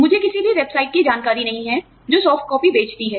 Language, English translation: Hindi, I am not aware of any website, that sells soft copies